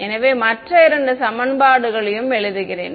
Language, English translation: Tamil, So, let me write down the other two equations